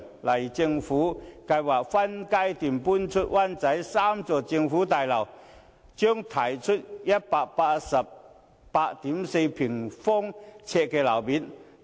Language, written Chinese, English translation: Cantonese, 例如，政府計劃分階段遷出灣仔北的3幢政府大樓，將騰出約 1,884 000平方呎的樓面面積。, For example the Government has planned to reprovision the three government office buildings in Wan Chai North in phases and some 1 884 000 sq ft of floor area will be released